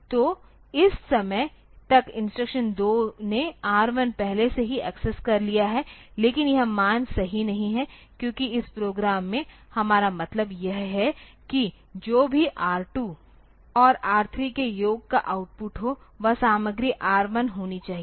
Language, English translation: Hindi, So, by this time instruction 2 has already accessed R 1 and, but that value is not correct, because in this program what we mean is that whatever be the output of summation of R 2 and R 3